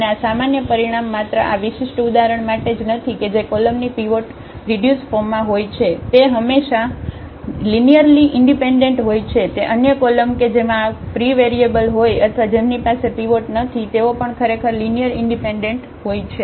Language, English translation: Gujarati, And this is the general result also not just for this particular example that the columns which we have the pivots in its reduced form they are linearly independent always and the other columns which have these free variables or where they do not have the pivots, they actually are linearly dependent